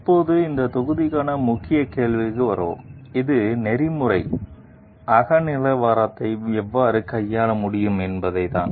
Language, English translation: Tamil, Now, we will come to the key question for this module which is how can we handle ethical subjectivism